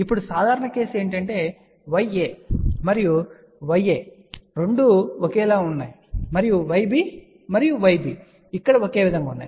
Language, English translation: Telugu, Now the general case is that this Y a and Y a these 2 are same and Y b and Y b are same over here